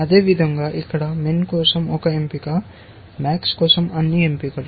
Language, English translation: Telugu, Likewise here, one choice for min all choices for max, one choice for min